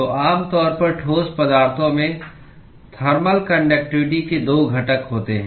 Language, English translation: Hindi, So, typically the thermal conductivity in solids has 2 components